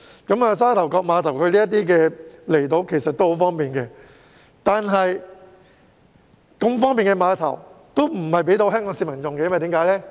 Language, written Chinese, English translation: Cantonese, 由沙頭角碼頭前往這些離島十分方便，但為何不把如此方便的碼頭提供予香港市民使用呢？, It is very convenient to travel from the Sha Tau Kok Pier to these outlying islands but why is it that such a convenient pier is not open to the public of Hong Kong?